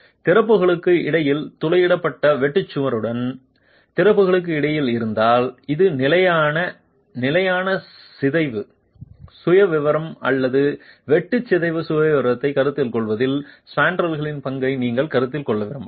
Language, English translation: Tamil, If it is between openings, it's a perforated shear wall between openings, then you might want to consider the role of the spandrel in considering a fixed fixed deformation profile or shear deformation profile for the peer